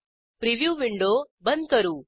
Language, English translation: Marathi, Lets close the preview window